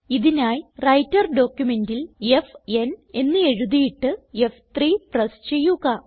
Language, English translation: Malayalam, For this simply write f n on the Writer document and press F3